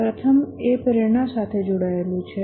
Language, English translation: Gujarati, The first one is with respect to motivation